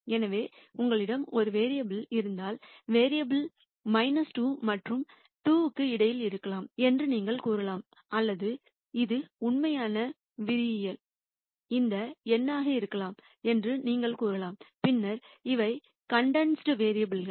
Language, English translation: Tamil, So, you could say if you have one variable you could say the variable could be between minus 2 and 2 for example, or you could simply say it could be any number in the real line then these are condensed variables